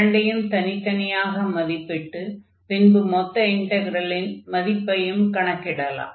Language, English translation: Tamil, So, we will evaluate these integral separately and then we can find the value of the integral